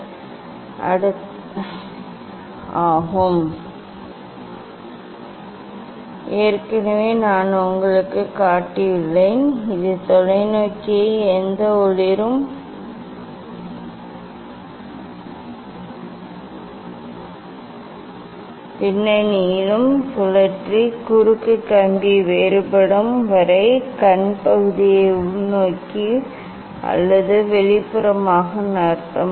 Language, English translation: Tamil, You will go for the next step; next step is adjusting cross wire and focusing image already I have showed you this rotate the telescope towards any illuminated background and move eye piece towards inwards or outwards until the cross wire appear distinct